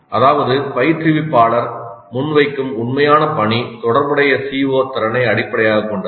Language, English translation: Tamil, That means the actual task that the instructor presents is essentially based on the COO or the competency that is relevant